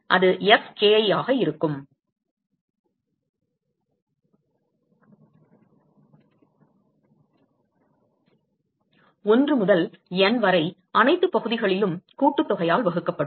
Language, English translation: Tamil, So, that will be Fki, 1 to N divided by sum over all areas